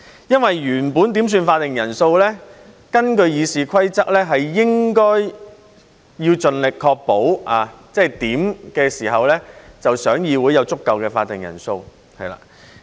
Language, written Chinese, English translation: Cantonese, 原本在點算法定人數時，根據《議事規則》，應該盡力確保在點算時議會內有足夠的法定人數。, During a quorum call according to RoP best efforts should be made to ensure that a quorum is present in the Council